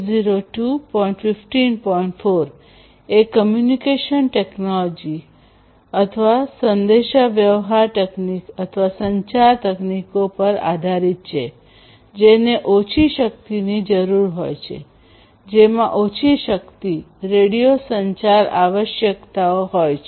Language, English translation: Gujarati, 4 the applications are based on the communication technologies which require low power, which have low power, radio communication requirements